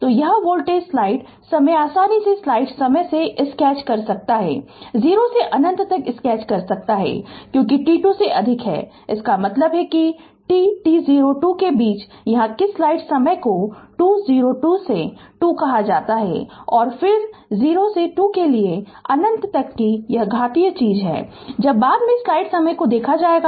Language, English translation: Hindi, So, this voltage you can easily sketch right from you can sketch from 0 to infinity, because t greater than 2; that means, in between 2 t 0 2 here what you call the 2 0 2 to 2 and then this exponential thing for 0 to 2 to infinity right when you when you put later will see this